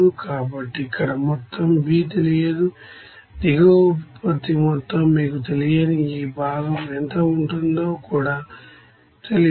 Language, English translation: Telugu, So, total here B is unknown, bottom product is total, the unknown even what will be the amount of this component also unknown to you